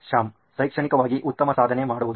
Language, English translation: Kannada, Shyam: To do good in academics